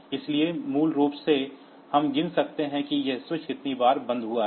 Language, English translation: Hindi, So, basically, we can count the number of times this switch has been closed